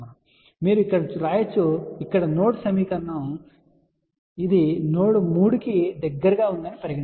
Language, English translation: Telugu, So, you can actually write here let us say here node equation here so which will be let us say some node 3